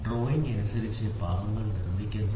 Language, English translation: Malayalam, So, the parts are produced according to the drawing